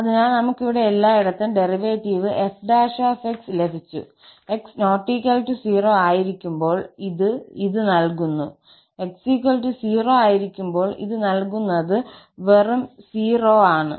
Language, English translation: Malayalam, So, we got the derivative everywhere as f prime , when x is not equal to 0, it is given by this and when x equal to 0, it will be given by this, it is just 0